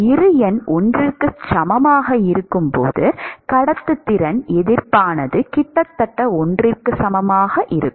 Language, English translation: Tamil, When Bi number is equal to 1, the resistance to conduction is almost equal to if I say almost equal to 1